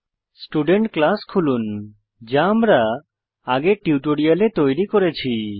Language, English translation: Bengali, Open the Student class we had created in the earlier tutorial